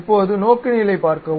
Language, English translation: Tamil, Now, see the orientation